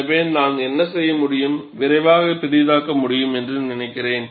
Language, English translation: Tamil, So, I think, what I can do is, I can quickly zoom it